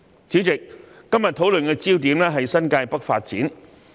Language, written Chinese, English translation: Cantonese, 主席，今天討論的焦點是新界北發展。, President the focus of our discussion today is developing New Territories North